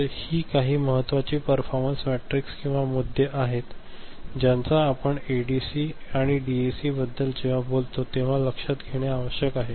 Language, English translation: Marathi, So, these are certain important performance metrics or issues that we need to take note of when we talk about ADC and DAC ok